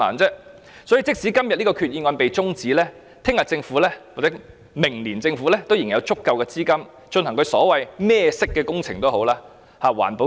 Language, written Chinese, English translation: Cantonese, 因此，即使今天這項決議案的辯論中止待續，明天或明年政府仍有足夠資金進行所謂"甚麼顏色"的工程。, Therefore even the debate on the Resolution is adjourned today tomorrow or next year the Government still has sufficient funds to carry out the so - called projects in whatever colour